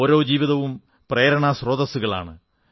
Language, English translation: Malayalam, Every life, every being is a source of inspiration